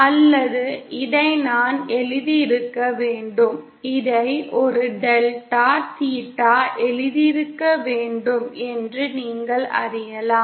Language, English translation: Tamil, Or we can you know say that, I should I should have written this, I should have written this a delta theta